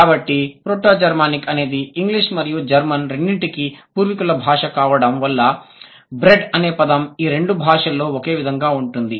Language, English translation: Telugu, So, Proto Germanic, which is an ancestral language for both English and German, which is why the word for bread that is same in English and German